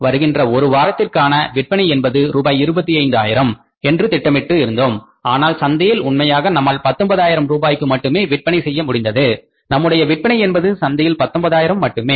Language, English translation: Tamil, Revenues we had planned for to earn maybe sales, sales we had to plan for selling in the say one next one week for 25,000 rupees but we could sell only actually is we could sell only for 19,000 rupees in the market about sales were only 19,000 in the market and the variance is 6,000 and this is the negative variance